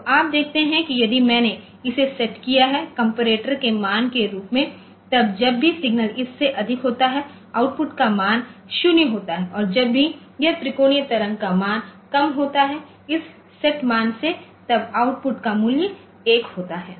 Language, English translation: Hindi, So, you see that if I set that this as the comparator value then whenever signal is high higher than this the value of the output is 0 and whenever the this triangular wave value is less then this set value the value of the output is 1